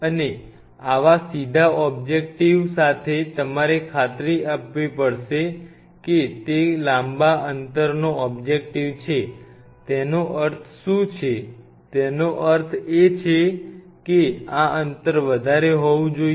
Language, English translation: Gujarati, And for such in upright objective you have to ensure it is a long distance objective what does that mean; that means, this distance should be higher